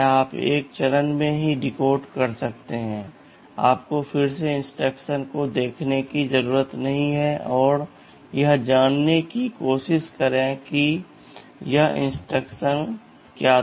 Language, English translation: Hindi, You can decode in one stage itself, you do not have to again look at the instruction and try to find out what this instruction was ok